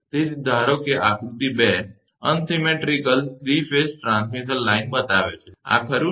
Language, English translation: Gujarati, So, figure 2 shows the unsymmetrical 3 phase transmission line, this one, right